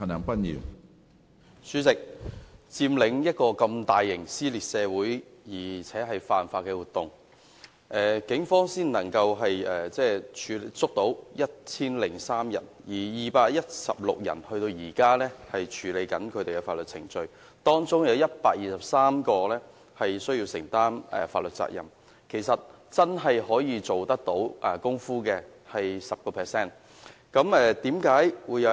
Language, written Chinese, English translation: Cantonese, 主席，一個如佔中這麼大型、撕裂社會且犯法的活動，警方只拘捕了1003人，至今仍有216人正處於法律程序中，當中有123人需要承擔法律責任，真正需要承擔責任的其實只有 10%。, President in this massive socially divisive and downright unlawful incident called the Occupy Central movement only 1 003 persons were arrested by the Police . To date judicial proceedings are still underway for 216 persons and 123 persons have been held liable under the law . In fact only 10 % of the arrested persons need to bear legal responsibility